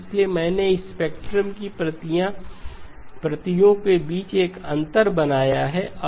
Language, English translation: Hindi, So there is I have created a gap between the copies of the spectrum